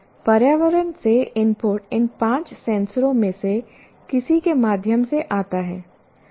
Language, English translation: Hindi, The input comes from any of these five senses